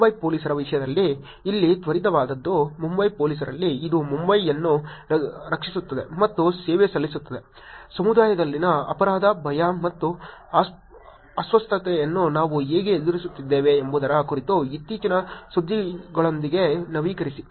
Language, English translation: Kannada, Here is a quick one in terms of Mumbai Police, at Mumbai cops, it iays protecting and serving Mumbai; keep updated with latest news on how we are combating crime, fear and disorder in the community